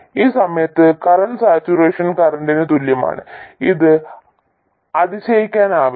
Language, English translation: Malayalam, At that point the current equals the saturation current